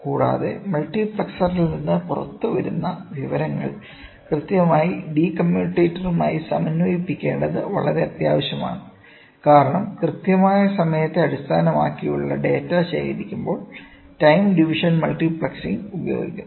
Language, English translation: Malayalam, Further, it is very much essential to synchronize the information that is coming out of the multiplexer exactly with the de commutator, since the time division multiplexing is employed while collecting the data which is based on the precise timing